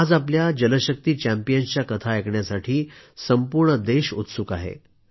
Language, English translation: Marathi, Today the entire country is eager to hear similar accomplishments of our Jal Shakti champions